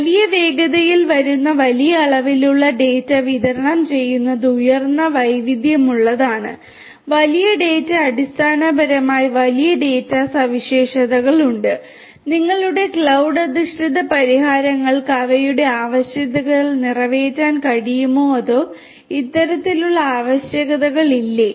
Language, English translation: Malayalam, And supplying large volumes of data coming at huge velocity is having high variety; big data basically essentially big data characteristics are there and whether your cloud based solutions will be able to cater to their requirements or not these kind of requirements